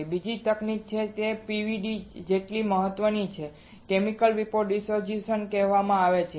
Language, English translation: Gujarati, And another technique which is as important as PVD is called Chemical Vapor Deposition right